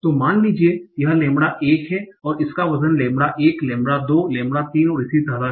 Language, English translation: Hindi, So suppose this is lambda 1, it has a weight of lambda 1, lambda 2, lambda 3 and so on